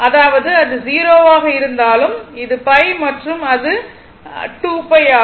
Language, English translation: Tamil, So, it is 0 it is pi it is 2 pi